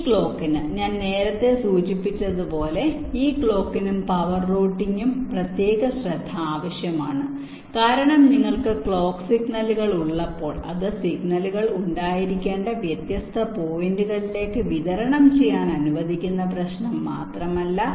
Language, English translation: Malayalam, ok, ah, this clock i have just mentioned earlier, this clock and power routing, requires some special attention because when you have the clock signals, it is not just the issue of just allowing the signals to be distributed to the different points were should be